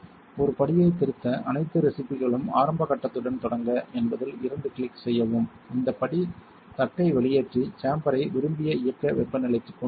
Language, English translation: Tamil, To edit a step double click on it all the recipes start with an initial step this step will cause the chamber to evacuate and bring the plate into the desired operating temperature